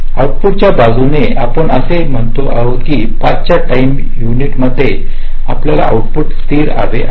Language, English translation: Marathi, from the output side we are saying that, well, at time into of five, i want the output to be stable